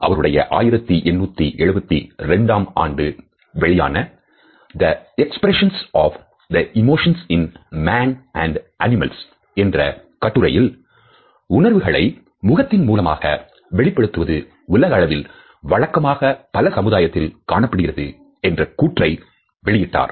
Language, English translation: Tamil, In a treatise, The Expression of the Emotions in Man and Animals which was published in 1872, he had propounded this idea that the expression of emotions and feelings on human face is universal in different societies